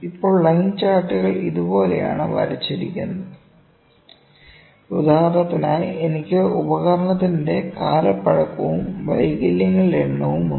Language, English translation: Malayalam, Now, line charts are just drawn simply like this for instance I am having age of the instrument and number of defects, ok